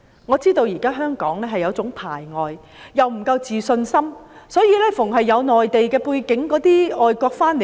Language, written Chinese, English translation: Cantonese, 我知道香港現時有一種排外心態，因為自信心不足，凡有內地背景便排拒。, I know that there is some sort of xenophobia in Hong Kong . Due to the lack of confidence any person with a Mainland background will be rejected